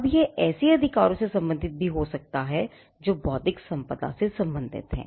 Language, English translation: Hindi, Now this could relate to a set of rights that come out of the intellectual property